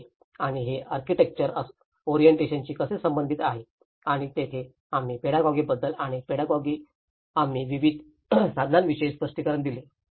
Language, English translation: Marathi, So, this and how it is related to architectural orientation and that is where we talked about the pedagogy and in the pedagogy, we did explain about various tools